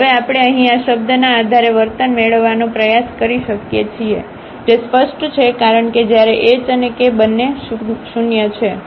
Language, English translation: Gujarati, So, now, we can try to get the behavior based on this term here, which is clear because when h and k both are non zero